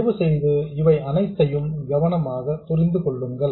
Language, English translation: Tamil, Please understand all of those things carefully